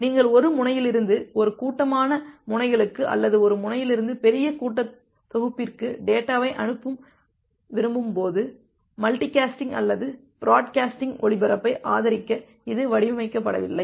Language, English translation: Tamil, It was not designed to support multi casting or broadcasting, when you want to send data from one node to a group of nodes, or from one node to set of large set of nodes